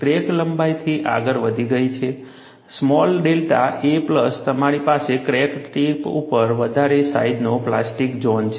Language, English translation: Gujarati, The crack has advanced by a length, small delta a plus you have a larger sized plastic zone at the crack tip